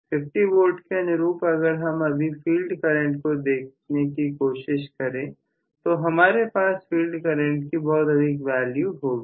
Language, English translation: Hindi, Now corresponding to 50 V if I try to look at the field current, I am going to have a much higher field current